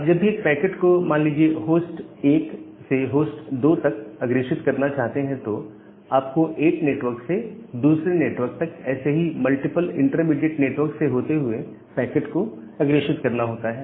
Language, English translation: Hindi, So, whenever you want to forward a packet from say host 1 to host 2, you need to forward the data packet from one network to another network via multiple other such intermediate networks